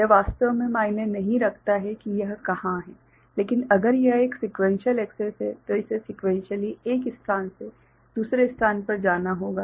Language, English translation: Hindi, It does not really matter where it is there, but if it is a sequential access then it has to move you know, sequentially from one place to another